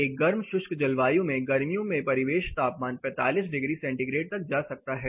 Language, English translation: Hindi, The ambient temperature say in summers in a hot drive climate may go up to 45 degree centigrade